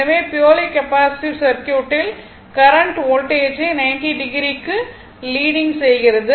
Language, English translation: Tamil, So, in purely capacitive circuit, the current leads the voltage by 90 degree